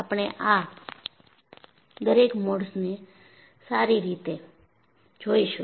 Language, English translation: Gujarati, We would see each one of these modes